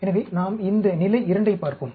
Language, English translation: Tamil, So, let us look at this level 2